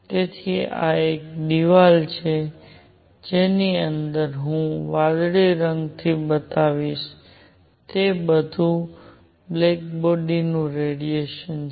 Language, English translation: Gujarati, So, this is a wall, all the radiation inside which I will show by blue is black body radiation